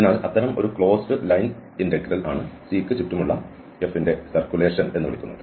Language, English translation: Malayalam, So such a line integral the close line integral is called the circulation of F around C